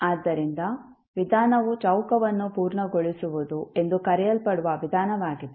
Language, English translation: Kannada, So, the approach is the method which is known as completing the square